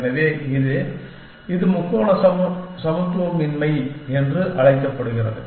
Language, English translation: Tamil, So, that is the, this is known as the triangular inequality